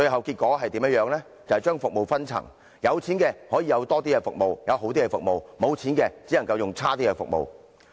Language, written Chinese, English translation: Cantonese, 結果是將服務分層，有錢的可享有較多和較好的服務，無錢的只可使用較差的服務。, This will eventually create different classes in healthcare services where the affluent will have access to more and better services and the underprivileged can only use less desirable services